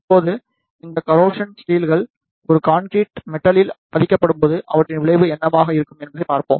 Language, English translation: Tamil, Now, we will see what will be the effect of these steel bars when they are embedded in a concrete metal